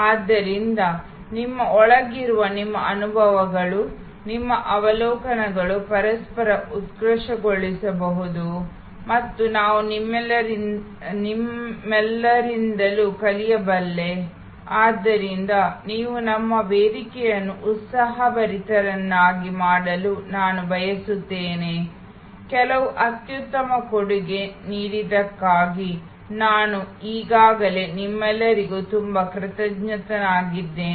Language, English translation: Kannada, So, that your insides, your experiences, your observations can enrich each other and I can learn from all of you, so I would like all of you to make our forum lively, I am already very thankful to all of you for contributing some excellent material